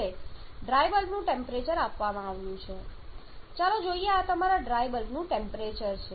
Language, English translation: Gujarati, Now, the dry air temperature is given let us say this is your rival temperature